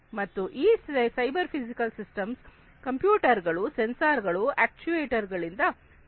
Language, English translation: Kannada, And these cyber physical systems are equipped with computers, sensors, actuators, and so on